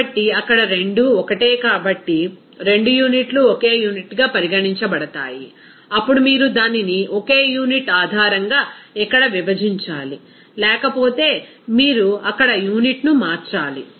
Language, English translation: Telugu, So, there since both are the same, both units will be considered as the same unit, then simply you have to divide it here based on the same unit; otherwise, you have to convert the unit there